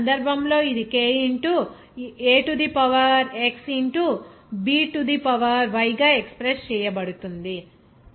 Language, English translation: Telugu, Here in this case, it is expressed as k into A to the power x into B to the power y